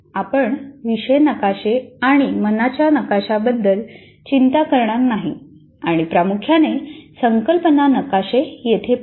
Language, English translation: Marathi, So we will not worry about the topic maps and mind maps and mainly look at concept map here